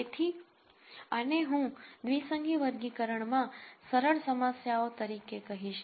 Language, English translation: Gujarati, So, these I would call as simpler problems in binary classification